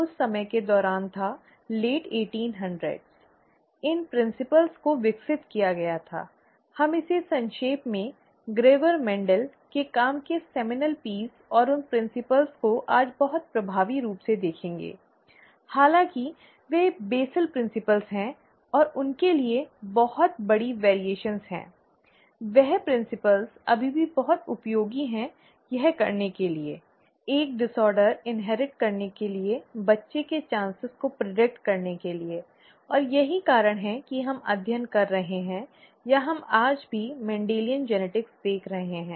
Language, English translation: Hindi, It was during that time, late eighteen hundreds, that these principles were developed; we will very briefly look at it by Gregor Mendel, seminal piece of work, and those principles are very effective today, although they are, you know basal principles and there are huge variations known to them, those principles are still very useful to do this, to be able to predict a child’s chances to inherit a disorder; and that is the reason we are studying or we are looking at Mendelian Genetics even today